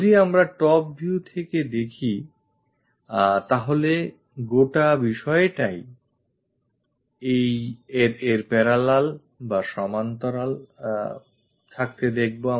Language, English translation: Bengali, If we are looking from top view this entire thing goes parallel to this